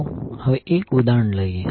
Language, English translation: Gujarati, Now let us take 1 example